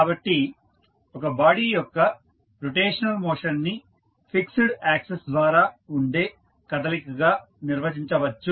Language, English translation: Telugu, So, the rotational motion of a body can be defined as motion about a fixed axis